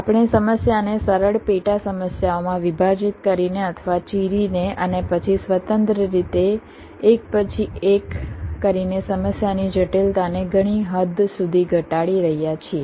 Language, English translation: Gujarati, we are reducing the complexity of the problem to a great extent by dividing or splitting the problem into simpler sub problems and then handling them just by one by one, independently